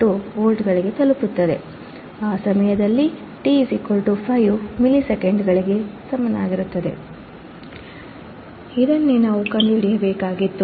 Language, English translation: Kannada, 2 volts at time t equals to 5 milliseconds right this is what we had to find